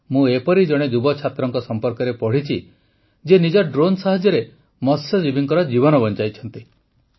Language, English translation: Odia, I have also read about a young student who, with the help of his drone, worked to save the lives of fishermen